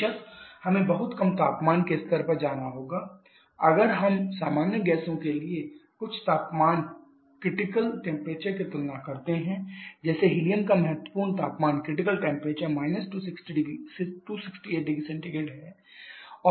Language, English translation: Hindi, Of course we have to go to very low temperature levels like if we compare some of the critical temperatures for common gases like helium has a critical temperature of 268 degree Celsius